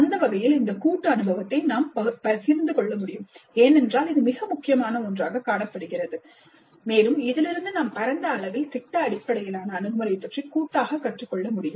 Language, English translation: Tamil, And that way we can share this collective experience because this is something that is seen as very important and we need to collectively learn from this, the project based approach on a wider scale